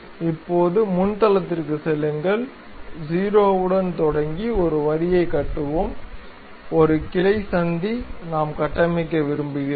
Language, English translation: Tamil, Now, go to front plane, let us construct a line beginning with 0, a branching junction we would like to construct